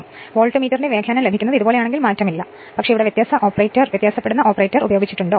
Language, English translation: Malayalam, It will not change, it is unchanged if you get the reading of the Voltmeter is like this if you get like, but I have used difference operator